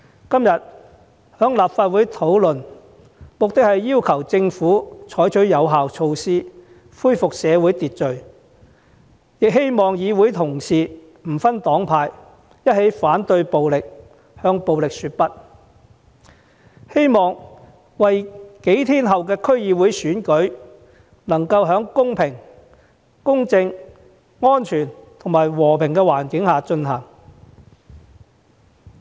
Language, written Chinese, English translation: Cantonese, 今天在立法會討論這項議案的目的，是要求政府採取有效措施，恢復社會秩序，亦希望議會同事不分黨派一起反對暴力，向暴力說不，令數天後的區議會選舉能夠在公平公正、安全及和平的環境下進行。, This motion under discussion in the Legislative Council today aims at urging the Government to adopt effective measures to restore social order and seeks to invite Honourable colleagues to transcend political affiliations to join hands in combating violence and saying no to it thereby enabling the District Council DC Election to be held in a fair impartial safe and peaceful environment